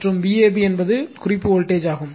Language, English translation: Tamil, And V ab is the reference voltage